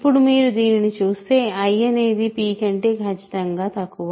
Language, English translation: Telugu, So, in the now if you look at this i is strictly less than p